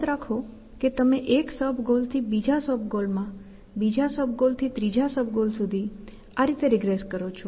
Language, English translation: Gujarati, Remember that you have regressing from 1 goal to another sub goal to another sub goal to another sub